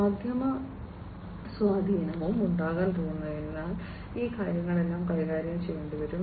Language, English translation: Malayalam, Media influence is also going to be there, so all these things will have to be handled